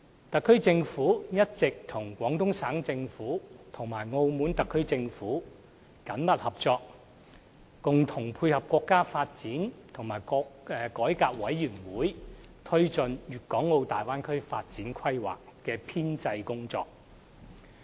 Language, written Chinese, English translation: Cantonese, 特區政府一直與廣東省政府及澳門特區政府緊密合作，共同配合國家發展和改革委員會推進《粵港澳大灣區發展規劃》的編製工作。, The HKSAR Government has all along been working closely with the Guangdong Provincial Government and the Macao SAR Government in drawing up the Development Plan for the Guangdong - Hong Kong - Macao Bay Area jointly with the National Development and Reform Commission NDRC